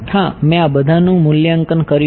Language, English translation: Gujarati, Yes, I have evaluated all of this right